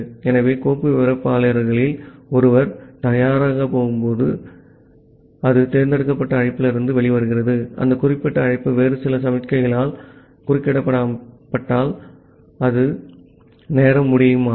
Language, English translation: Tamil, So, whenever one of the file descriptor becomes ready it comes out of the select call, if that particular call is interrupted by some other signals or the timeout happens